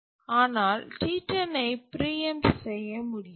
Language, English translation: Tamil, But T 10 cannot be preempted